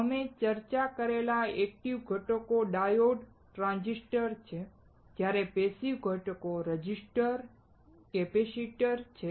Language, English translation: Gujarati, The active components like we discussed are diodes and transistors, while the passive components are resistors and capacitors